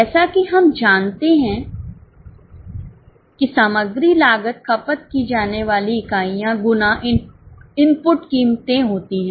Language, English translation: Hindi, as we know the material cost is units of consumption into the price, input prices